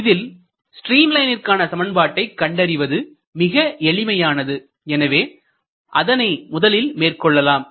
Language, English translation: Tamil, So, to find out equation of stream line that is the easiest part let us do it first